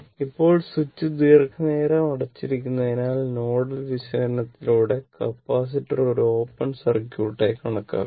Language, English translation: Malayalam, Now, as the switch remains closed for long time, capacitor can be considered to be an open circuit by nodal analysis